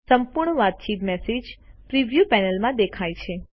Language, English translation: Gujarati, The entire conversation is visible in the message preview panel